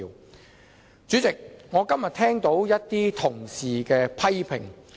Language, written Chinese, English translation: Cantonese, 代理主席，今天我聽到同事的一些批評。, Deputy President I heard criticisms this morning from some Honourable colleagues